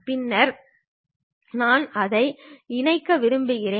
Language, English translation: Tamil, Then, I want to assemble it